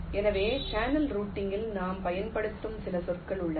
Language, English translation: Tamil, ok, so there are some terminologies that we use in channel routing: track